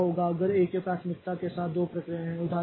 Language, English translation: Hindi, Now, what if there are two processes with the same priority